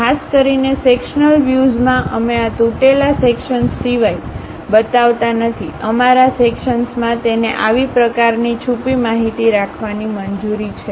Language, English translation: Gujarati, Typically in sectional views, we do not show, except for this broken out sections; in broken our sections, it is allowed to have such kind of hidden information